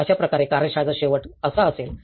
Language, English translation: Marathi, So similarly, the end of the workshop will be like this